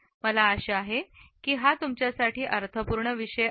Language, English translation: Marathi, I hope that it has been a meaningful course to you